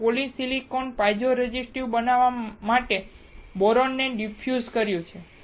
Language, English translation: Gujarati, We have diffused boron to make the polysilicon piezo resistive